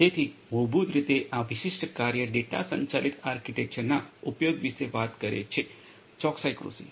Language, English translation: Gujarati, So, there basically this particular work is talking about the use of data driven architecture for; precision agriculture